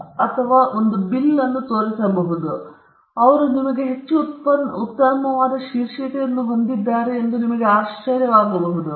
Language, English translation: Kannada, Now, that may put you in a back step, on the back foot; you may wonder whether he has a better title than you